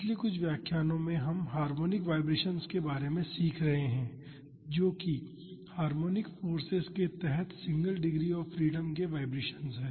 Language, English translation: Hindi, In the last few lectures we have been learning about harmonic vibrations, that is the vibrations of a single degree of freedom system under harmonic forces